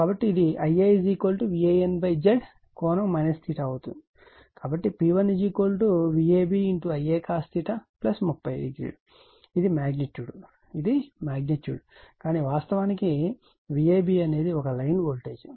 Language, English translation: Telugu, Therefore, P 1 is equal to V a b I a cos theta plus 30 this is magnitude this is magnitude , but V a b actually is equal to a line voltage